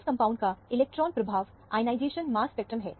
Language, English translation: Hindi, This is the electron impact ionization mass spectrum of the compound